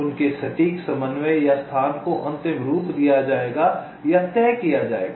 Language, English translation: Hindi, they, their exact coordinate or location will be finalized or fixed